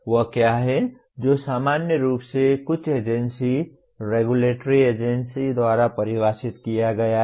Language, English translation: Hindi, What is that excessive is normally defined by some agency, regulatory agency